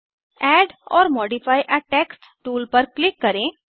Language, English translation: Hindi, Click on Add or modify a text tool